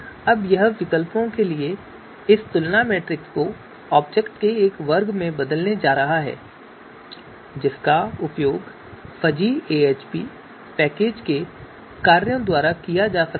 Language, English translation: Hindi, Now we are going to convert for this comparison matrix for alternatives also we are going to convert into a you know class of object which can be used by the functions of fuzzy AHP package